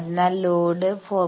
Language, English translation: Malayalam, So, let load be at 4